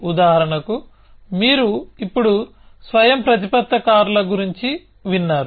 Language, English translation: Telugu, So, for example, you must have heard about autonomous cars now a days